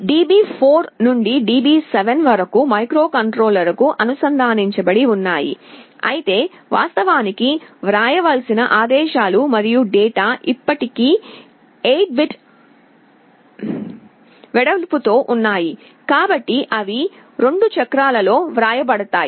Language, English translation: Telugu, DB7 to DB4 are connected to the microcontroller, but the commands and data that are actually to be written are still 8 bit wide, and so they will be written in 2 cycles